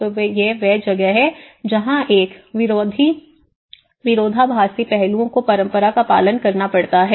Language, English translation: Hindi, So this is where a contradicting aspects one has to observe from the tradition